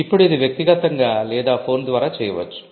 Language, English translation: Telugu, Now this could be in person or over phone